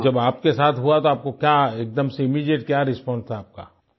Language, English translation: Hindi, So, when it happened to you, what was your immediate response